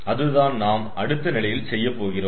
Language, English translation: Tamil, so that is what we have done in the next stage